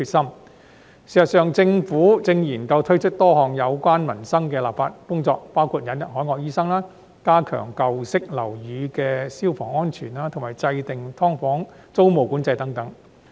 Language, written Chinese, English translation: Cantonese, 事實上，政府正研究推出多項有關民生的立法工作，包括引入海外醫生、加強舊式樓宇的消防安全，以及制訂"劏房"租務管制等。, Currently the Government is actually studying the introduction of a series of legislative work related to peoples livelihood . It includes hiring overseas doctors stepping up fire safety of old buildings and formulating tenancy control of subdivided units